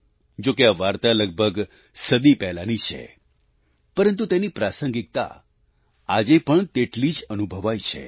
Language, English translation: Gujarati, Though these stories were written about a century ago but remain relevant all the same even today